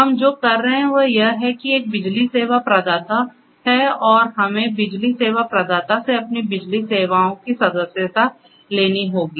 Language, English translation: Hindi, So, what we are doing is that there is an electricity service provider and that electricity service provider, we have to subscribe our electricity services to the electricity service provider